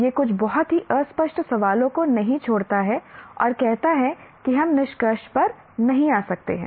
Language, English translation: Hindi, It doesn't leave some very, very nebulous questions and say we cannot come to conclusion and so on